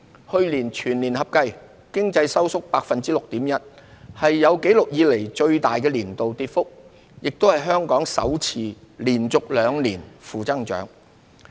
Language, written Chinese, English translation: Cantonese, 去年全年合計，經濟收縮 6.1%， 是有紀錄以來最大的年度跌幅，亦是香港首次連續兩年負增長。, For 2020 as a whole the economy contracted by 6.1 % the largest annual decline on record . It is also the first time for Hong Kong to register two consecutive years of negative growth